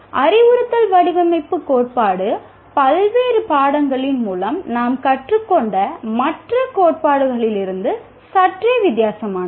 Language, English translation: Tamil, The instruction design theory is somewhat different from the theories that we learn through various subjects